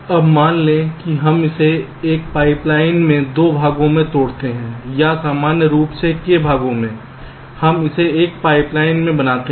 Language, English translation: Hindi, ok, now suppose we break it into two parts in a pipe line, or k parts in general, we make it in a pipe line